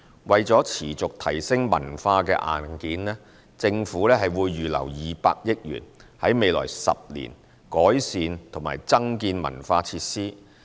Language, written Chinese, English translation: Cantonese, 為持續提升文化硬件，政府會預留200億元，在未來10年改善及增建文化設施。, In order to continuously upgrade our cultural hardware the Government has set aside 20 billion for the improvement and development of cultural facilities in the coming 10 years